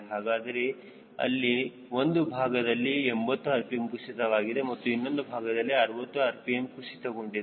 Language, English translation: Kannada, on one side it was a drop of eighty rpm and on the other side it was drop of sixty rpm